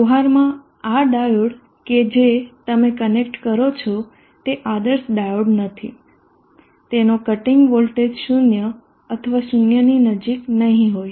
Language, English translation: Gujarati, In practice this diode that you would connect is not an ideal diode, it will not have a cutting voltage of 0 or close to 0